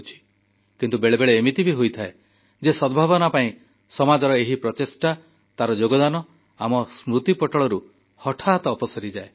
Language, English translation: Odia, But sometimes it so happens, that the efforts of the society and its contribution, get wiped from our collective memory